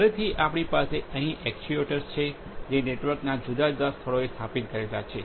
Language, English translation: Gujarati, Again, we here have actuators which are installed at different locations of the network